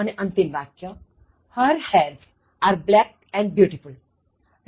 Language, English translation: Gujarati, The last one: Her hairs are black and beautiful